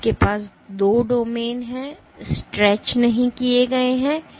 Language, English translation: Hindi, So, you have two domains that are not stretched